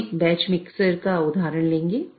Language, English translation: Hindi, So, we'll take an example of a batch mixer